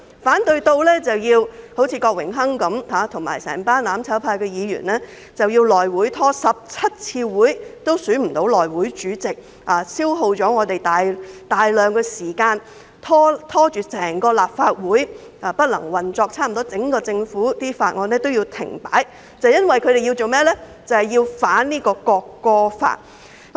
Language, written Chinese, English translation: Cantonese, 反對《條例草案》的手段，最明顯便是郭榮鏗議員及所有"攬炒派"議員拖延了內務委員會17次會議也未能選出主席，消耗議會大量時間，拖累立法會不能正常運作，差不多所有政府法案也要停擺，就是因為他們要反對《條例草案》。, Among the ways to oppose to Bill the most blatant one is the efforts of Mr Dennis KWOK and all Members of the mutual destruction camp to stall the House Committee resulting in the failure to elect the chairman after 17 meetings . Such a move took up a lot of time and impeded the normal operation of the Legislative Council . Almost all government bills could not be proceeded with simply because they wanted to oppose the Bill